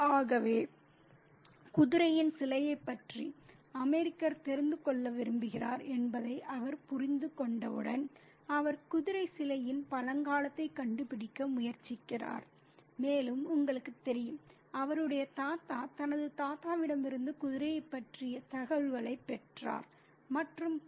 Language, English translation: Tamil, So, once he understands that the American wants to know about the statue of the horse, he tries to trace the antiquity of the horse statue and says that, you know, his grandfather got information about the horse from his grandfather and so on